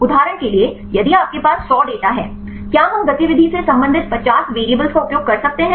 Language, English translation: Hindi, For example, if you have a 100 data; can we use 50 variables to relate the activity